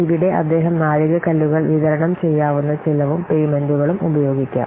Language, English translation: Malayalam, So here he may use milestones, deliverables, cost and payments, etc